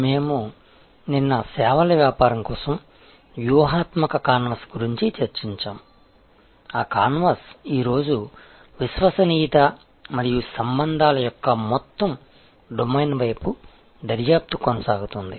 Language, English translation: Telugu, We discussed the strategy canvas for services business yesterday, on that canvas today will continue to probe into this whole domain of loyalty and relationships